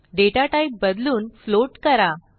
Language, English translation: Marathi, change the data type to float